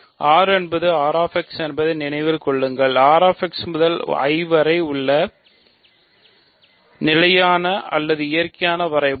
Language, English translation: Tamil, So, remember R is R x, the standard or the natural map we have from R x to I, right